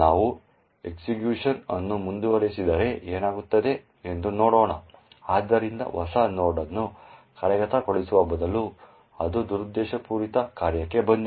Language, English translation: Kannada, Let us see if we continue the execution what would happen, so right enough instead of executing new node it has indeed come into the malicious function